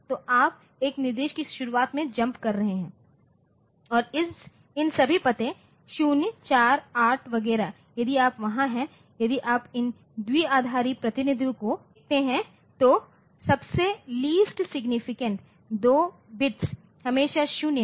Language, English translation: Hindi, So, you are jumping at the beginning of an instruction and all these addresses 0, 4, 8 etcetera if you there if you look into their binary representation then the most the least significant 2 bits are always0